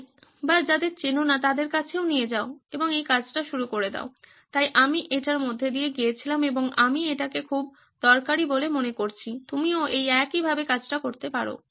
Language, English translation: Bengali, So that is I went through it and I found it to be very useful, you can do it the same way as well